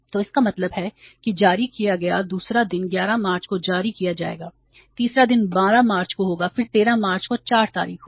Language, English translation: Hindi, So it means the second day check issued will be presented on the 11th March, third day will be on the 12th March then 4 days on the 13th March